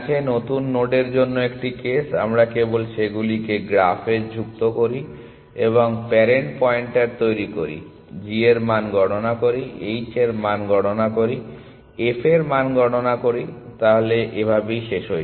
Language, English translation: Bengali, One case for new nodes, we simply add them to the graph, and create the parent pointer, compute the g value, compute the h value, compute the f value and we are done